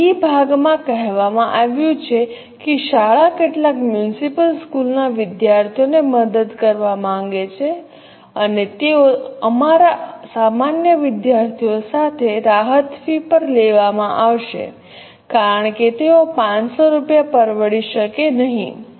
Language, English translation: Gujarati, Now in B part it has been asked that school wants to help out some municipal school students and they would be taken with our normal students at a concessional fee because they may not be able to afford 500 rupees